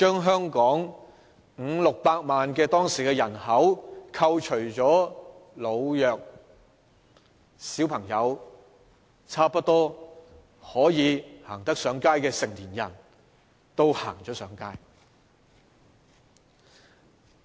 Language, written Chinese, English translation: Cantonese, 香港當時有五六百萬的人口，扣除老弱和小朋友後，可以說差不多有能力走上街的成年人都上街了。, Back then Hong Kong had a population of 5 million to 6 million and after deducting the elderly the vulnerable and children it can be said that almost all adults with the ability to come out had taken to the streets